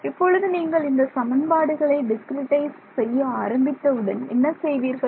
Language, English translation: Tamil, Now, when we begin to discretize these equations, what is what would you do, how would you discretize these equations